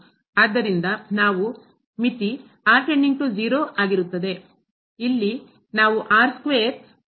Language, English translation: Kannada, So, what is the limit here